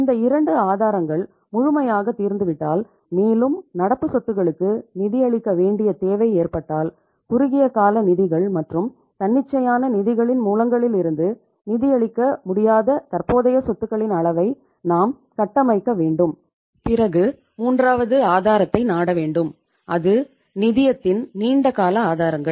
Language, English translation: Tamil, Once these 2 sources are fully exhausted and still if there is a need to finance the current assets, we need to build up the level of current assets which is not possible to be financed from the say uh short term funds and spontaneous sources of the funds, then you have to resort to the third source that is the long term sources of the finance